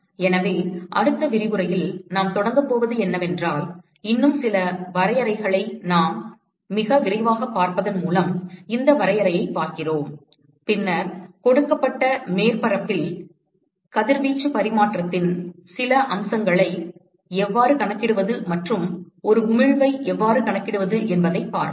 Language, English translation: Tamil, So, what we are going to start in the next lecture is by looking at a couple of more definitions very quickly we look at this definition and then we will start looking at how to quantify some of the aspects of radiation exchange and the emission from a given surface